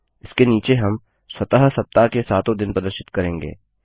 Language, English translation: Hindi, Under this, we will display the seven days of the week automatically